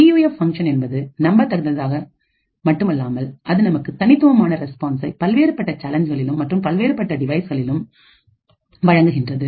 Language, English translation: Tamil, The PUF should not only be reliable but also, should provide unique responses with respect to different challenges and different devices